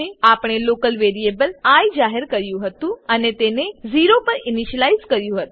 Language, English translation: Gujarati, We had declared a local variable i and initialized it to 0